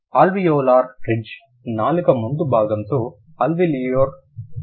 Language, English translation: Telugu, Alveolar sounds are formed with the front part of the tongue on the alveolar ridge